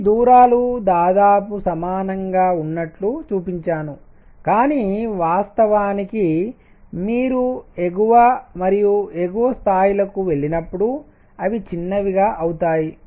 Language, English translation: Telugu, These distances I have shown to be roughly equal, but in reality as you go to higher and higher levels, they become smaller